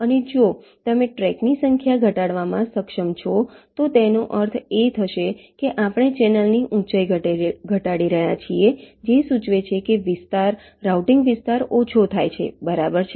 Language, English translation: Gujarati, and if you are able to reduce the number of tracks, it will mean that we are reducing the height of the channel, which implies minimizing the area, the routing area